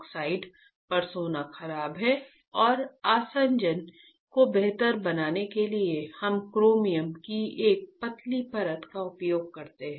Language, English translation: Hindi, The adhesion a d h e s i o n adhesion of gold on the oxide is poor and to improve the adhesion we use a thin layer of chromium ok